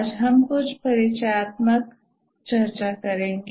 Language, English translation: Hindi, Today we will have some introductory discussion